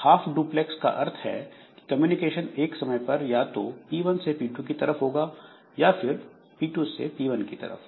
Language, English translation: Hindi, So, half duplex means at one point of time communication is from p1 to p2 only and at some other time it is from p2 to p1 only